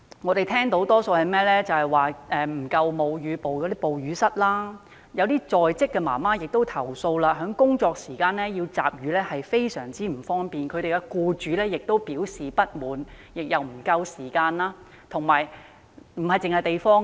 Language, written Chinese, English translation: Cantonese, 有人表示社區沒有足夠的哺乳室，部分在職母親也投訴，在工作時間集乳很不方便，僱主亦表示不滿，集乳的時間亦不足夠。, Some have reflected that there are not enough breastfeeding rooms in the community; some working mothers have complained that they find it inconvenient to collect milk during working hours as their employers have expressed dissatisfaction and there is not enough time for milk collection